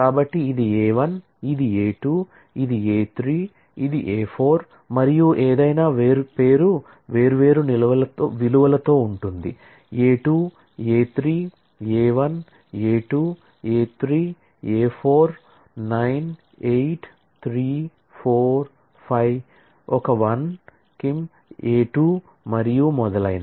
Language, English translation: Telugu, So, this is A 1, this is A 2, this is A 3, this is A 4 and any one i name is at the different values a 2 a 3 a 1 a 2 a 3 a 4 98345 is a 1 Kim is a 2 and so on